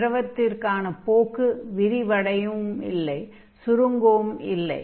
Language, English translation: Tamil, So there is no tendency here that the fluid is expanding or contracting